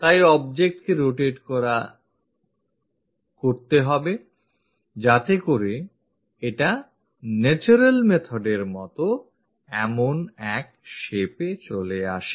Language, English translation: Bengali, So, rotate that object so that it comes out to be in that shape, in the natural method